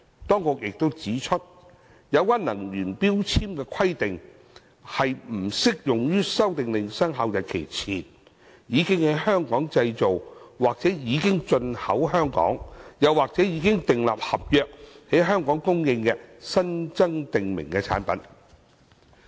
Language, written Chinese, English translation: Cantonese, 當局亦指出，有關能源標籤的規定，不適用於《修訂令》生效日期前，已經在香港製造或已進口香港，又或者已訂立合約在香港供應的新增訂明產品。, The Administration has also pointed out that the requirements for energy labels will not apply to a new prescribed product if before the commencement date of the Amendment Order it has been manufactured in or imported into Hong Kong or a contract has been entered into for its supply in Hong Kong